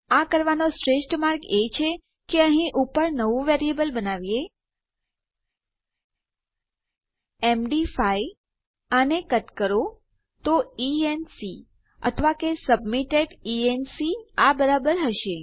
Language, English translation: Gujarati, The best way to do this is to create a new variable up here saying, MD5 cut this so enc or submitted enc equals that